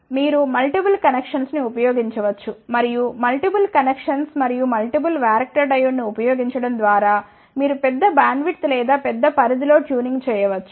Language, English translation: Telugu, You can use multiple section and by using multiple sections and the multiple varactor diode, you can do the tuning over a larger bandwidth or over a larger range